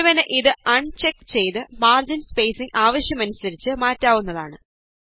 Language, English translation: Malayalam, One can uncheck it and change the margin spacing as per the requirement